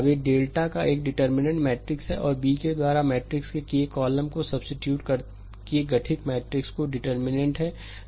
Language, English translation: Hindi, Now, if delta is the determinant of matrix and delta k is the determinant of the matrix formed by replacing the k th column of matrix A by B